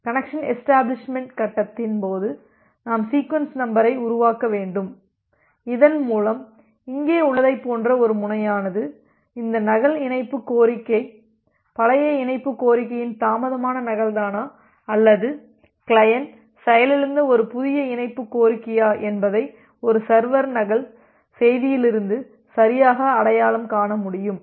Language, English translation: Tamil, And during the connection establishment phase, we need to generate the sequence number in such a way so, that the other end like here in the exampled a server can correctly identify from a duplicate message that whether this duplicate connection request is the delayed duplicate of the old connection request or it is a new connection request after the client has crashed